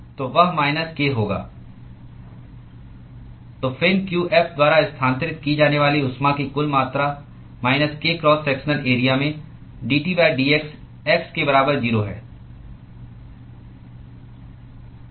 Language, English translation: Hindi, So, the total amount of heat that is transferred by the fin q f is minus k into cross sectional area into d T by d x at x equal to 0